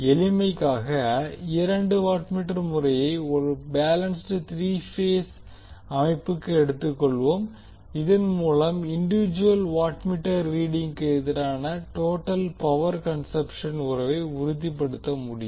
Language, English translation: Tamil, For simplicity we will take the two watt meter method for a balanced three phase system so that we can stabilize the relationship of the total power consumption versus the individual watt meter reading